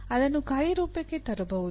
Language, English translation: Kannada, That can be brought into action